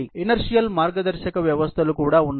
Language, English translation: Telugu, There can also be inertial guidance systems